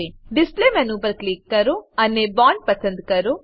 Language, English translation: Gujarati, Click on the Display menu and select Bond